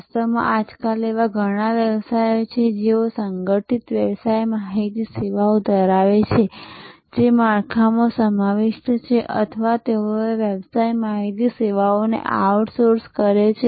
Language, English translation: Gujarati, In fact, there is many businesses nowadays have organized business intelligence services, incorporated within the structure or they outsource business intelligence services